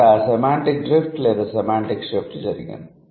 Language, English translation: Telugu, So, that's how it has become semantic drift